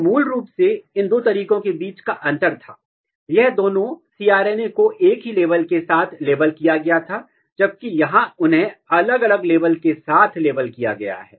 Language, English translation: Hindi, So, basically the difference between these two methods was, here both the cRNAs, were cRNAs were labeled with the same label, whereas they are labeled with the different labels